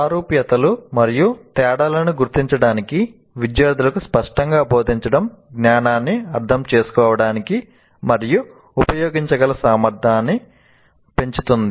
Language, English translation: Telugu, Explicitly teaching students to identify similarities and differences enhances their ability to understand and use knowledge